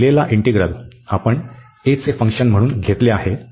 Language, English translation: Marathi, So, the given integral, we have taken as a function of a